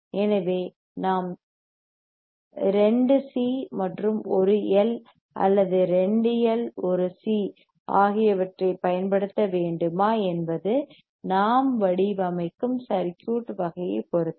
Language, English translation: Tamil, So, whether we have to use 2 L or whether we have to use 2 C and 1 L or 2 L and 1 C, that depends on the type of circuit that we are designing